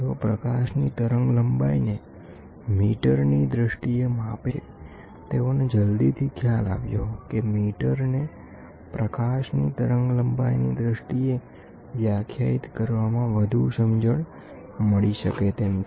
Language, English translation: Gujarati, They measure the wavelength of light in terms of metres, they soon realise that it is made more sense to define a metre in terms of wavelength of light